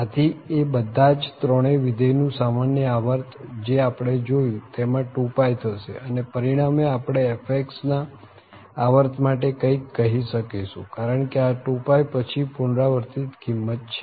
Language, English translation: Gujarati, So, the common period of all these 3 functions what we observe is actually a 2 pie and as a result we can tell something about the period of this fx because this is repeating its value after 2 pie period